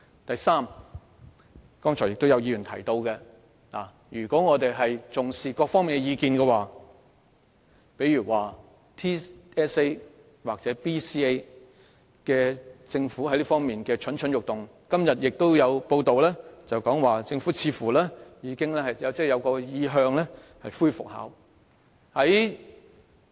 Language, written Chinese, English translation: Cantonese, 第三，剛才亦有議員提到我們應重視各方面的意見，例如政府似乎對全港性系統評估或基本能力評估蠢蠢欲動，今天亦有報道指政府似乎有意復考。, Third earlier on some Members said that importance should be accorded to the views of all parties . For instance it seems that the Government is poised to restore the Territory - wide System Assessment TSA or the Basic Competence Assessment BCA and it is reported today that the Government seems to have plans for a relaunch